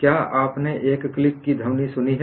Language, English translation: Hindi, Have you heard a click sound